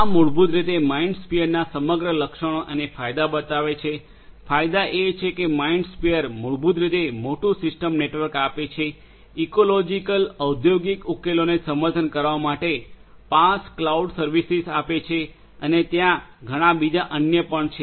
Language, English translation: Gujarati, This is the overall you know this basically shows the overall features and the advantages of MindSphere; advantages are that MindSphere basically provides large system network, supports ecological industrial solutions has PaaS cloud services for offering and there are many others also